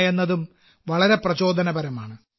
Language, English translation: Malayalam, This is also very encouraging